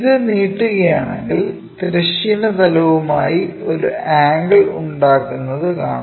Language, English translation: Malayalam, If we are extending that is going to make an angle with the horizontal plane